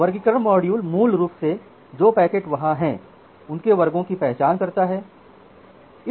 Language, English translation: Hindi, The classification module basically identifies the classes of packets which are there